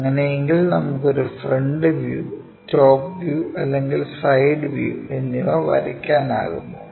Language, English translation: Malayalam, If that is the case can we be in a position to draw a front view, a top view, and a side view